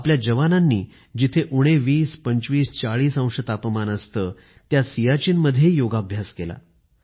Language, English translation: Marathi, Our soldiers practiced yoga in Siachen where temperatures reach minus 20, 25, 40 degrees